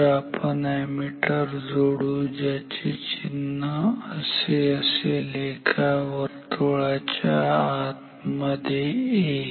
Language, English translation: Marathi, So, let us connect an ammeter, the symbol is like this, A inside and circle